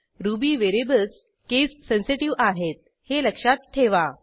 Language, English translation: Marathi, Please note that Ruby variables are case sensitive